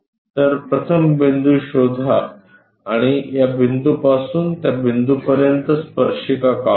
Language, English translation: Marathi, So, first locate a point then we have to construct a tangent from this point to that point